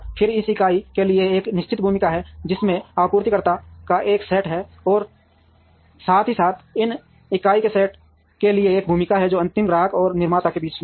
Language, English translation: Hindi, Then there is a definite role for this entity which has a set of suppliers, as well as there is a role for this set of entity who are the in between the ultimate customer and manufacturer